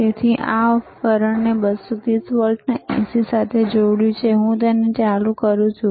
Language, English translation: Gujarati, So, I have connected this right device to the 230 volts AC and I am switching it on